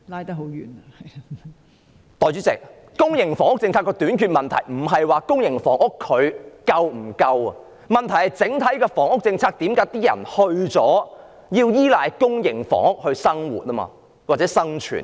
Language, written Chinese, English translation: Cantonese, 代理主席，公營房屋政策的短缺問題不在於公營房屋是否足夠，而是為何在整體的房屋政策下，市民要依賴公營房屋來生活或應付基本的生存需要？, Deputy President the problem of a shortage in the context of the public housing policy is not about the adequacy of the provision of public housing units . The problem is why under the overall housing policy members of the public have to rely on public housing in their living or to meet the basic needs of living